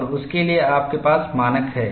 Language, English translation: Hindi, And you have standards for that